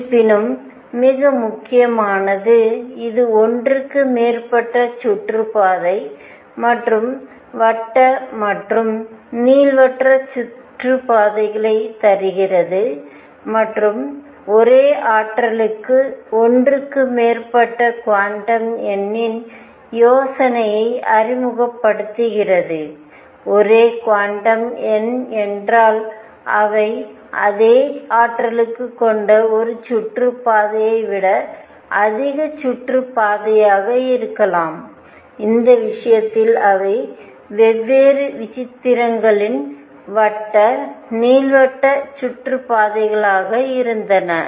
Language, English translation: Tamil, More important however, is it gives more than one kind of orbit and circular as well as elliptic orbits and it introduces the idea of more than one quantum number for the same energy more than one quantum number means they could be more orbits than one orbit which has the same energy and in this case they happened to be circular elliptic orbits of different eccentricities